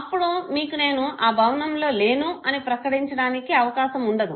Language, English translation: Telugu, You are not given the opportunity to declare that I was not available in the building, okay